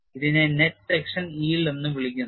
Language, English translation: Malayalam, And this is known as net section yielding